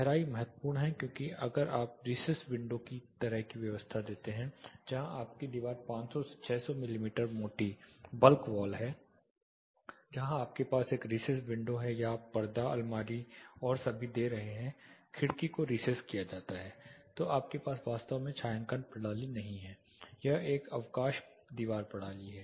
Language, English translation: Hindi, Depth is crucial because if you give recess window kind of arrangements where your wall is say 500 600 mm thick a bulk wall where you have a recess window or you are giving certain you know cupboards and all that the window is recessed you do not have a shading system actually, but it is a recess wall system